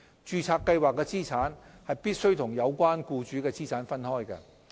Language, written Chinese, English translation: Cantonese, 註冊計劃的資產必須與有關僱主的資產分開。, Assets of a registered scheme must be separated from assets of the relevant employer